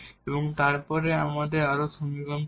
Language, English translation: Bengali, So, what is the differential equations